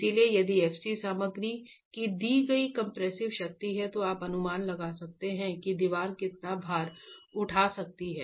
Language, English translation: Hindi, is the compressive strength of the material, for a given compressive strength of the material, you can estimate what is the load that that wall can carry